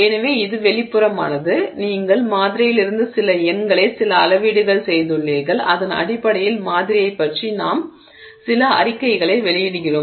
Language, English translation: Tamil, So, you sort of made some measurement from the sample, some numbers from the sample and then on that basis we make some statement about the sample